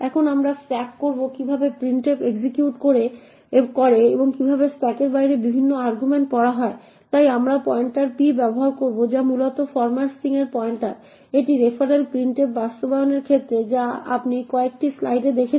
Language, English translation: Bengali, Now we will track how printf executes and how various arguments are read out of the stack, so we will use the pointers p which essentially is the pointer to the format string this is with respect to the referral printf implementation which you have seen in few slides before and we also use ap which is the argument pointer